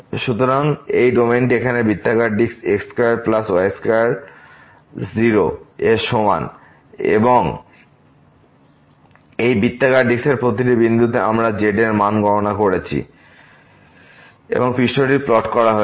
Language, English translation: Bengali, So, this domain here which is the circular disc square plus square less than equal to 0 and at each point of this circular disc, we have computed the value of and the surface is plotted